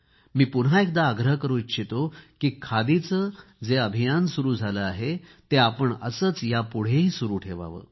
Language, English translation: Marathi, I once again urge that we should try and take forward the Khadi movement